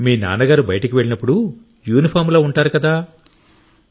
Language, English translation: Telugu, So your father goes out, is in uniform